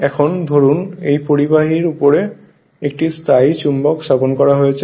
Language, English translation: Bengali, Now the suppose a permanent magnet is placed on the top of this conductor